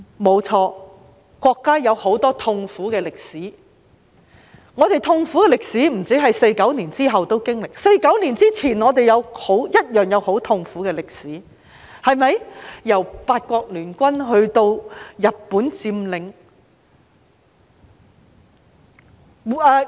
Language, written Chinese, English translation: Cantonese, 不錯，國家有很多痛苦的歷史，不止在1949年後經歷，在1949年之前我們一樣有很痛苦的歷史，由八國聯軍至日本佔領。, It is true that the country has a lot of painful experience in history . We have experienced painful history not merely after 1949 but also before 1949 from the Eight - Nation Alliance to the Japanese occupation